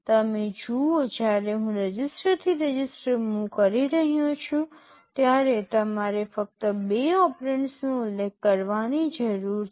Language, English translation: Gujarati, You see when I am saying move register to register, I need to specify only two operands